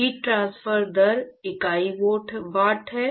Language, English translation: Hindi, The heat transfer rate unit is watts